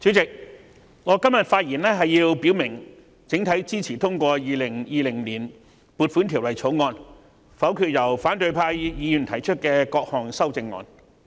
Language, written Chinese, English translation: Cantonese, 主席，我今天發言表明，我整體上支持通過《2020年撥款條例草案》，並會否決反對派議員提出的各項修正案。, Chairman I rise to speak today to indicate my general support for the passage of the Appropriation Bill 2020 the Bill and I will vote against the various amendments proposed by Members of the opposition camp